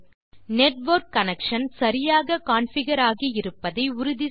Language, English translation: Tamil, First, make sure that your network connection is configured correctly